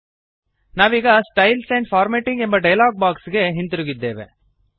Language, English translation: Kannada, We are back to the Styles and Formatting dialog box